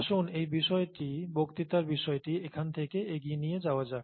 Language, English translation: Bengali, Let’s take things further from here in this lecture